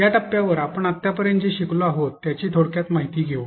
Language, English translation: Marathi, At this point let us summarize what we have learned till now